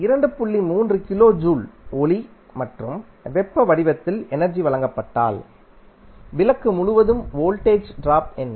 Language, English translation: Tamil, 3 kilo joule is given in the form of light and heat energy what is the voltage drop across the bulb